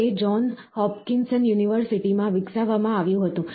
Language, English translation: Gujarati, So, this was developed in John Hopkinson University